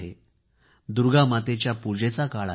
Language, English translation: Marathi, It is a time for praying to Ma Durga